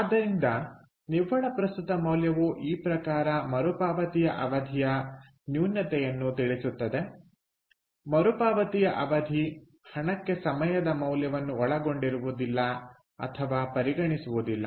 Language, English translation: Kannada, ok, so net present value kind of addresses the drawback of payback period, which does not include or does not consider the time value of money